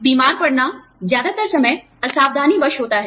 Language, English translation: Hindi, Falling sick, most of the times, is inadvertent